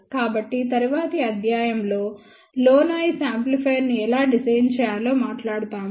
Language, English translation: Telugu, So, in the next lecture we will talk about how to design low noise amplifier